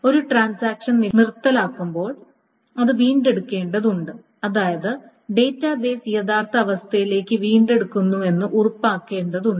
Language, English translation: Malayalam, So when a transaction abodes, it needs to recover, which means it needs to ensure that the database recovers to the original state